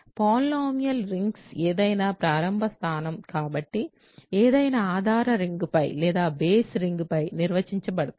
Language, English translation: Telugu, Polynomial rings can be defined over any base ring so, any starting point